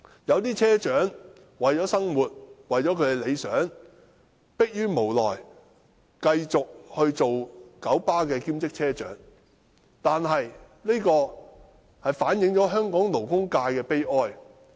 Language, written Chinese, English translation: Cantonese, 一些車長為了生活或理想，逼於無奈，繼續任職九巴兼職車長，這反映出香港勞工界的悲哀。, For the sake of livelihood or ideals some bus captains cannot but continue to work as part - time bus captains in KMB . This reflects the misery of the labour sector in Hong Kong